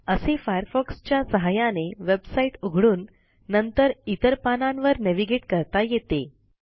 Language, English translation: Marathi, This is how we can visit websites using Firefox and then navigate to various pages from there